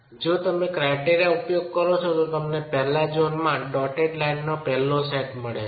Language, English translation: Gujarati, If you use that criterion you would get the first set of dotted lines in the first zone